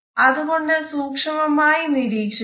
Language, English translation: Malayalam, So, pay close attention